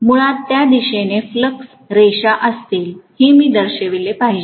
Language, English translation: Marathi, I should show the flux lines will be in this direction basically